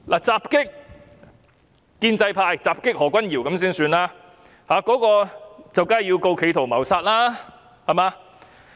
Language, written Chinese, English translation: Cantonese, 襲擊建制派何君堯議員的人，當然要被控告企圖謀殺，對嗎？, A person who attacked pro - establishment Dr Junius HO would certainly be prosecuted for an attempt to commit murder right?